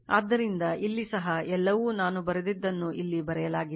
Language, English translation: Kannada, So, here also everything is whatever I said everything is written here right